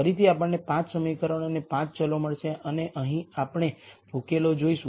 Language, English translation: Gujarati, Again we will get 5 equations and 5 variables and we will look at the solution here